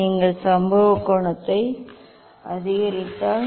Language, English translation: Tamil, if you increase the incident angle